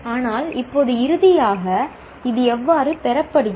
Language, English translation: Tamil, But now finally, how is this obtained